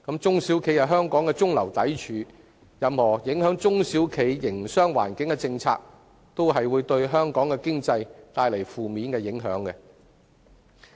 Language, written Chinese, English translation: Cantonese, 中小企是香港的中流砥柱，任何影響中小企營商環境的政策，也會對本港經濟帶來負面影響。, SMEs are the mainstay of Hong Kong . Any policy which affects the business environment of SMEs will also cause adverse impacts to the Hong Kong economy